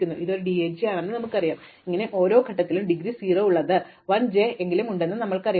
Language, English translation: Malayalam, So, we know this is a DAG, so we know there is at least one j with indegree 0 at every point